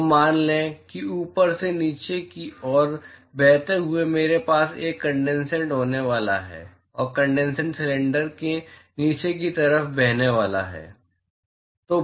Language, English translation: Hindi, So, let us say flowing from top to bottom I am going to have a condensate and the condensate going to flow at the bottom side of the cylinder